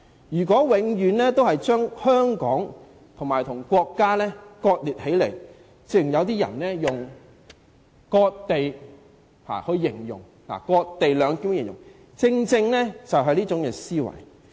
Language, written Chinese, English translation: Cantonese, 如果永遠把香港和國家割裂起來，正如有些人以"割地兩檢"來形容，只因他們存在這種思維。, Some people always regard Hong Kong and the State as two separate entities like those who describe the co - location arrangement as a cessation arrangement precisely because they have this mentality